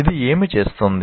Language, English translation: Telugu, What does it do